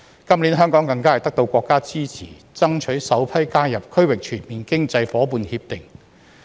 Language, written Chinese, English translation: Cantonese, 今年，香港更是獲得國家支持爭取首批加入"區域全面經濟夥伴協定"。, This year Hong Kong has even obtained the countrys support for joining the Regional Comprehensive Economic Partnership as a member in the first batch